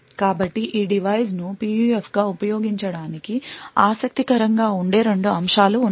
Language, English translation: Telugu, So, there are essentially 2 aspects that make this design interesting for use as a PUF